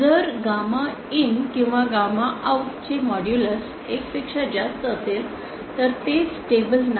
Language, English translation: Marathi, If modulus of gamma in or gamma out is more than one, then it is not stable